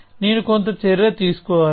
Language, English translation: Telugu, So, I must have some action